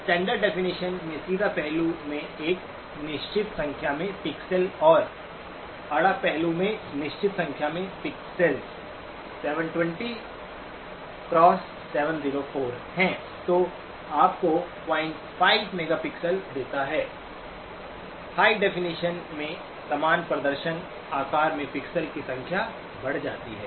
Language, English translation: Hindi, Standard definition has got a certain number of pixels in the vertical dimension and certain number of pixels in the horizontal dimensions, 720 times 704, that gives you 0 point 5 megapixel, high definition increases the number of pixels over the same display size